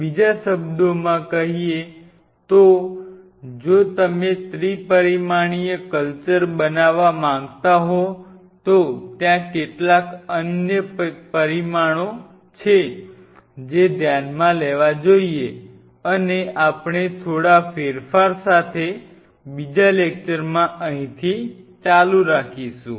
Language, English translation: Gujarati, In other word you wanted to make a 3 dimensional culture and if you wanted to make a 3 dimensional culture then there are few other parameters which has to be considered and we will just continue in another with few slight changes we will continue from here